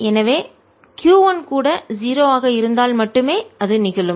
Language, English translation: Tamil, so that can only happen if, if q one is also so zero